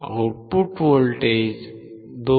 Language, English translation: Marathi, The output voltage is 2